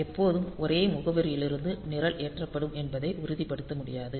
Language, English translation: Tamil, And it is not possible to ensure that always the program will be loaded from the same address